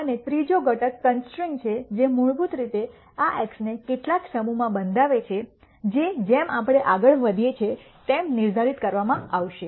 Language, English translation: Gujarati, And the third component is the constraint which basically constrains this X to some set that will be de ned as we go along